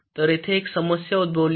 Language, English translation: Marathi, so there is one issue that arises here